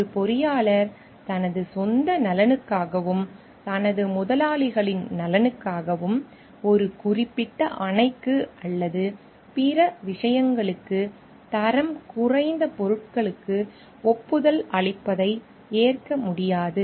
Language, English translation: Tamil, It is not at all acceptable for an engineer to like approve for low quality material for a particular dam or other things for his own benefit and for his employers benefit